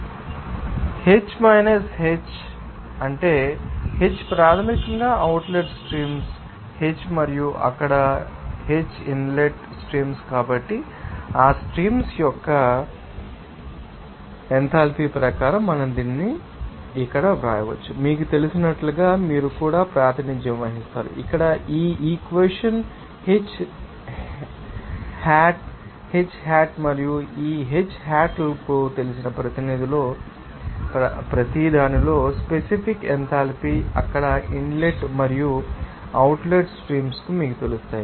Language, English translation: Telugu, H3 minus H1 minus H2 is H3 is basically that what is that outlet streams H1 and H2 are the inlet streams there so, according to that enthalpy of those streams we can simply write this here and also you can represent it as you know, this equation here H3 hat H1 hat and these H2 hat are the specific enthalpy at each you know that inlet and outlet streams there